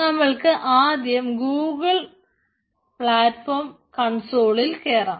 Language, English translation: Malayalam, so first we will go to the google cloud platform console